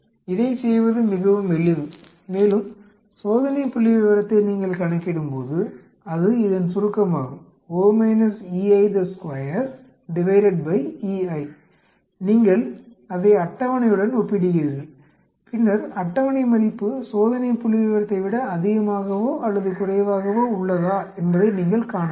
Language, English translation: Tamil, It is very simple to do that and once you calculate the test statistics which is summation of expected minus observed square divided by expected you compare it with the table and then you see whether the table value is greater or less than the test statistics